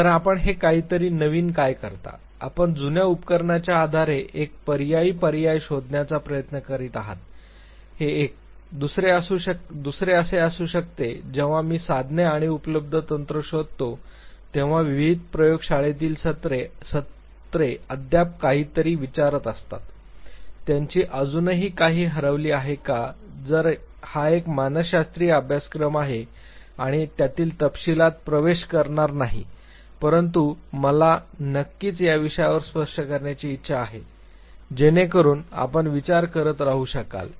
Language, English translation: Marathi, So, what you do it something new, you are trying to find out something know which is an alternative based on the old apparatus this could be one the other could be that when I look at the tools and the techniques available that has been used in various lab sessions do one still question something, is their still something which is missing, although this is an introductory psychology course and will not go in to the details of it, but I want definitely to touch on those issues so that you can keep thinking